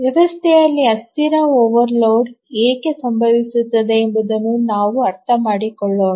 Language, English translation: Kannada, Let's understand why transient overloads occur in a system